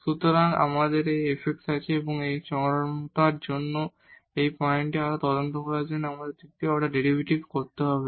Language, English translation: Bengali, So, we have this f x and we need to get the second order derivative to further investigate these points for the extrema